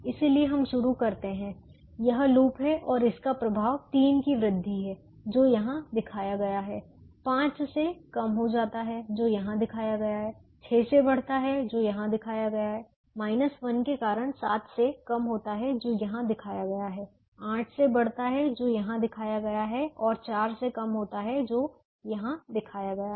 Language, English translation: Hindi, so to begin with we will say: this is the loop and the effect is an increase of three, which is shown here, reduces buy five, which is shown here, increases by six, which is shown here, reduces by seven because of minus one that is shown here, increases by eight, which is shown here, and reduces by four, which is shown here